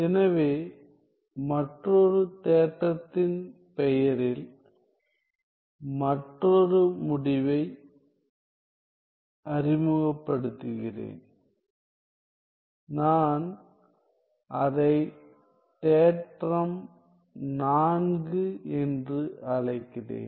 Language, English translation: Tamil, So, let me just introduce another result in the name of another theorem, I am calling it theorem 4